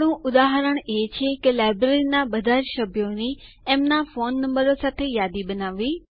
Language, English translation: Gujarati, our example is to list all the members of the Library along with their phone numbers